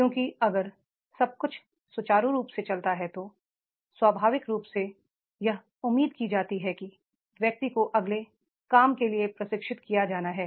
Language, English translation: Hindi, Because if everything goes smooth then naturally it is expected that the person is to be trained for the next job